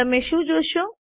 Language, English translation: Gujarati, What do you see